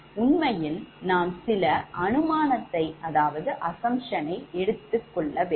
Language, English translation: Tamil, right now, we will make certain assumptions